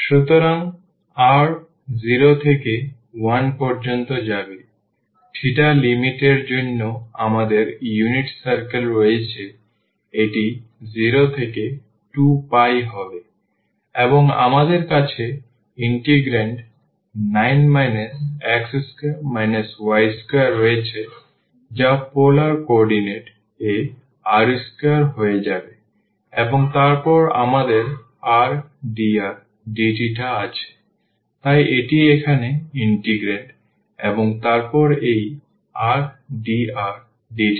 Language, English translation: Bengali, So, the r will go from 0 to 1, we have unit circle for the limits of the theta it will be from 0 to 2 pi, and we have the integrand 9 minus this x square plus y square which will be become r square in the polar coordinate and then we have r dr and d theta, so that is the integrand here, and then this r dr d theta